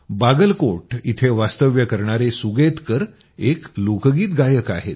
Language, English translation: Marathi, Sugatkar ji, resident of Bagalkot here, is a folk singer